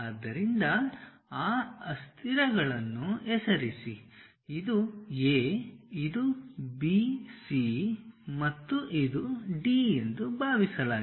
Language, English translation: Kannada, So, name these variables A I am sorry this is supposed to be A, this is B, this is C and this is D